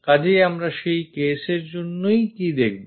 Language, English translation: Bengali, So, what we will see for that case